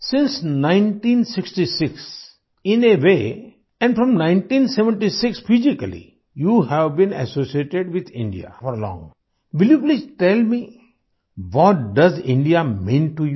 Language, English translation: Hindi, Since 1966 in a way and from 1976 physically you have been associated with India for long, will you please tell me what does India mean to you